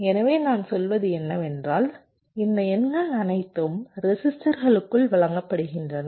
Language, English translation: Tamil, so these numbers are all being fed into resistors